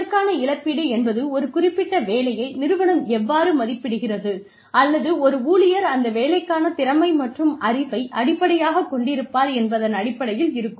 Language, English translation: Tamil, Will compensation be based on, how the company values a particular job, or, will it be based on, how much skill and knowledge, an employee brings to that job